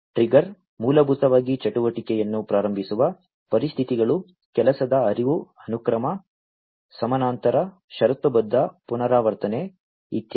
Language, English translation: Kannada, Trigger basically are the conditions under which the activity is initiated, workflow can be sequential, parallel, conditional, iterative, and so on